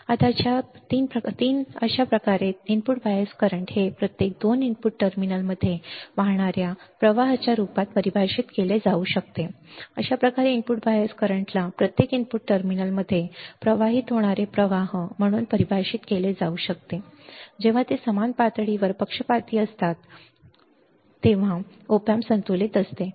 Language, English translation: Marathi, Now, 3 thus the input bias current can be defined as the current flowing into each of the 2 input terminals, thus the input bias current can be defined as the current flowing into each of the 2 input terminals when they are biased at the same level when they are biased at the same level that is when the op amp is balanced, all right